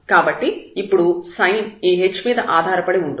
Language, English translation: Telugu, So, the sign will depend on now this h